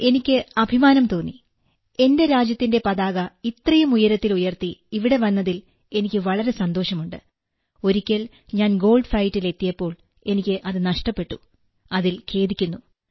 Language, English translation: Malayalam, Sir, I was feeling very proud, I was feeling so good that I had returned with my country's flag hoisted so high… it is okay that once I had reached the Gold Fight, I had lost it and was regretting it